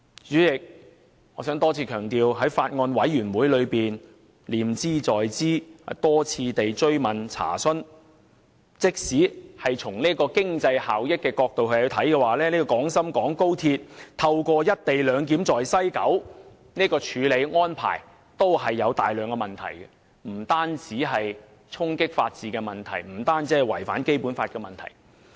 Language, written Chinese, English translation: Cantonese, 主席，我想再次強調，我在法案委員會念茲在茲，多次追問和查詢，即使從經濟效益的角度來看，高鐵在西九龍站的"一地兩檢"安排也存在大量問題，而且並非單純衝擊法治及違反《基本法》的問題。, President I would like to reiterate being mindful of the issue I have pursued and raised questions time and again at meetings of the Bills Committee that even from the perspective of economic efficiency there were a lot of problems with the co - location arrangement at the West Kowloon Station of XRL and such problems were not simply violating the rule of law and breaching the Basic Law